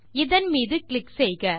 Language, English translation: Tamil, Click on that